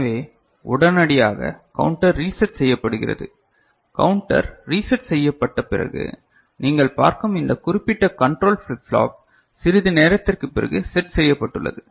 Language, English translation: Tamil, So, immediately the counter is reset immediately, the counter is reset and this particular control flip flop that you see is reset ok, after sorry, it is set it is after sometime ok